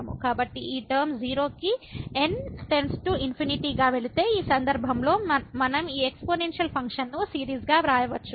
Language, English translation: Telugu, So, if this term goes to 0 as goes to infinity, in this case we can write down this exponential function as a series